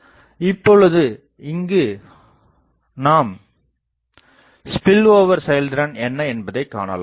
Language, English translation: Tamil, Now, here we will put the expression of spillover efficiency